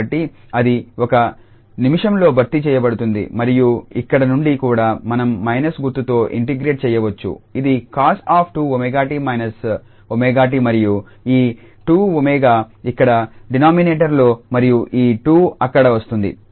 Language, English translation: Telugu, So, that will be substituted in a minute and then from here also we can integrate with minus sign this will be cos then 2 omega tau minus omega t and this 2 omega will come here in the denominator and this 2 there